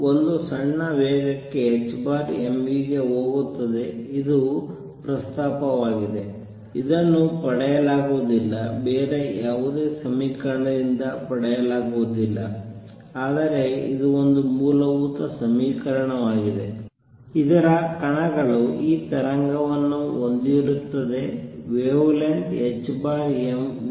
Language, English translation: Kannada, And goes to h over m v for a small speeds this is the proposal, this is cannot be derived cannot be obtained from any other equation, but it is a fundamental equation, it is that particles have this wave associated which is which is has a wave length h by m v